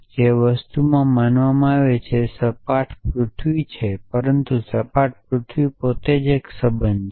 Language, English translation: Gujarati, And the thing that believed is believed in is the flat earth essentially now, but flat earth itself a relation